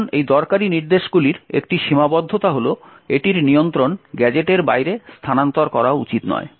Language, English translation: Bengali, Now one restriction for these useful instructions is that it should not transfer control outside the gadget